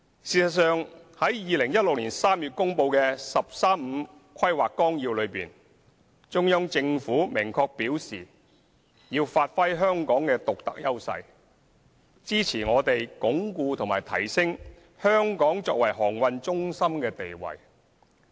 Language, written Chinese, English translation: Cantonese, 事實上，在2016年3月公布的《十三五規劃綱要》內，中央政府明確表示要發揮香港的獨特優勢，支持我們鞏固和提升香港作為航運中心的地位。, In fact in the Outline of the 13 Five - Year Plan released in March 2016 the Central Government explicitly stated that it would give full play to Hong Kongs unique advantages and support us in consolidating and enhancing our position as a maritime centre